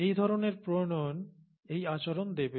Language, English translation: Bengali, This kind of a formulation would yield this behaviour